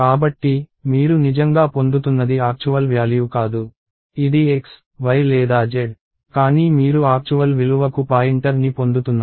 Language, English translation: Telugu, So, that way what you are actually getting is not the actual value, which is X, Y or Z, but you are getting the pointer to the actual value